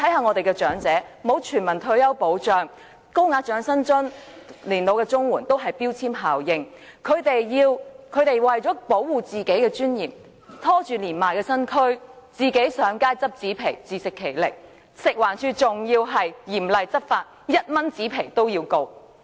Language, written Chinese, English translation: Cantonese, 我們的長者沒有全民退休保障，而高額長者生活津貼、老人申請綜援均有標籤效應，長者為了維護自己的尊嚴，拖着年邁身軀，上街撿紙皮，自食其力，但食物環境衞生署嚴厲執法，婆婆因出售1元紙皮而被控告。, Elderly people in Hong Kong do not have retirement protection and the application for the higher tier of OALA or the Comprehensive Social Security Allowance will have a labelling effect . To uphold their dignity elderly people though being frail collect cardboard on the streets to make a living . Yet the Food and Environmental Hygiene Department strictly enforced the law and prosecuted an old woman for selling cardboard for 1